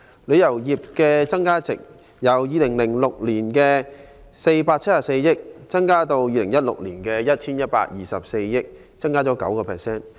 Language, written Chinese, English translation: Cantonese, 旅遊業的增加值，由2006年的474億港元上升至2016年的 1,124 億港元，升幅為 9%。, The added value of the travel industry was up from HK47.4 billion in 2006 to HK112.4 billion in 2016 representing a growth of 9 %